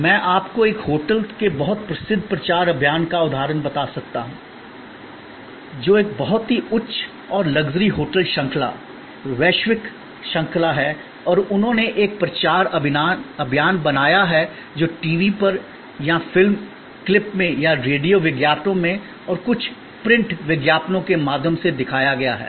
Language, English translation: Hindi, I can tell you the example of a very famous promotion campaign of a hotel, which is a very high and luxury hotel chain, global chain and they created a promotion campaign which showed on TV or in movie clips or through radio ads and some print ads